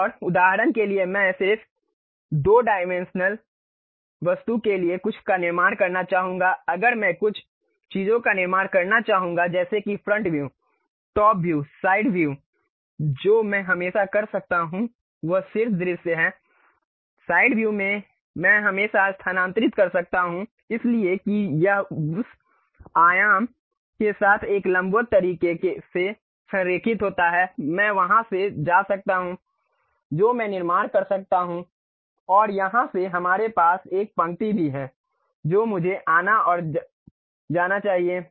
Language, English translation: Hindi, And, for example, I would like to construct something like for just 2 dimensional object if I would like to really construct something like front view, top view, side view what I can always do is the top view, side view I can always move so that it aligns with that dimension in a perpendicular way I can really go from there I can construct and from here also we have a line supposed to come from and go